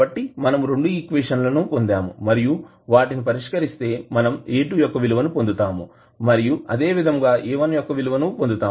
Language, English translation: Telugu, So now we got 2 equations and we can solved it and we can get the value of A2 and similarly we can get the value of A1